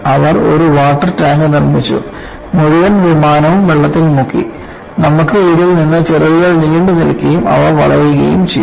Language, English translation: Malayalam, They had constructed a water tank; the entire aircraft is submerged, and you had wings protruded out of this, and they were flexed